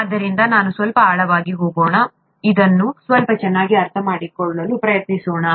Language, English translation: Kannada, So let us go a little deeper, let us try to understand this a little better